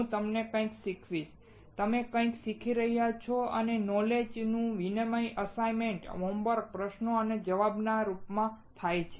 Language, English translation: Gujarati, I will be teaching you something, you will be learning something, and exchange of knowledge happens in the form of assignments, home works, questions and answers